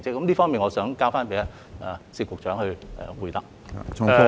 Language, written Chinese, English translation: Cantonese, 這方面，我想交給薛局長回答。, In this connection I will leave it to Secretary SIT to reply